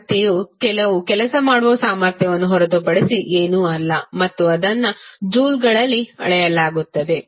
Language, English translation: Kannada, Energy is nothing but the capacity to do some work and is measured in joules